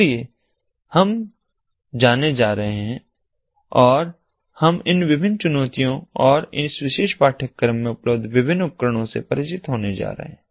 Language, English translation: Hindi, so we are going to go and we are going to get introduced to all these different challenges and the different tools that are available in this particular course